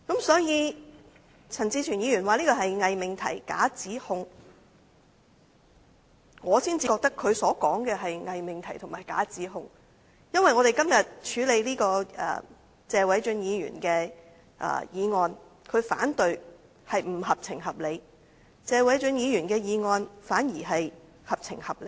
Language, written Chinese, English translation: Cantonese, 所以，陳志全議員說這是偽命題、假指控，我認為他所說的才是偽命題和假指控，因為我們今天處理這項由謝偉俊議員提出的議案，陳志全議員提出反對才是不合情、不合理，反而謝偉俊議員的議案才是合情合理。, So Mr CHAN Chi - chuen said that it is a false proposition and a false allegation but I think what he said is a false proposition and a false allegation . It is because concerning this motion proposed by Mr Paul TSE for our discussion today it is insensible and unreasonable of Mr CHAN Chi - chuen to raise objection to it whereas Mr Paul TSEs motion is sensible and reasonable